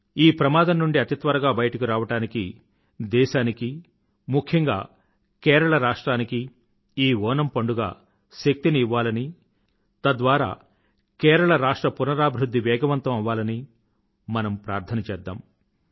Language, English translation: Telugu, We pray for Onam to provide strength to the country, especially Kerala so that it returns to normalcy on a newer journey of development